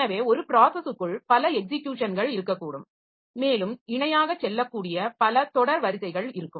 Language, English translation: Tamil, So, within a process also there can be several sequences of executions that are possible and it may so happen that a number of sequences they go parallel